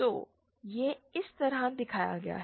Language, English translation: Hindi, So, that is how it is shown